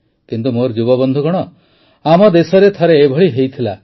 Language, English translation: Odia, But my young friends, this had happened once in our country